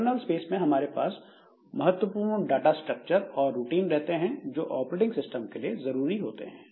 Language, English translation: Hindi, Now in the kernel space we have got the important data structures and routines that are useful by the operating system